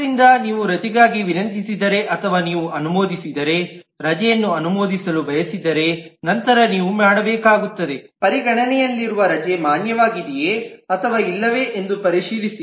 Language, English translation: Kannada, So if you request for a leave or if you approve want to approve a leave, then you will need to check if that leave under consideration is valid or not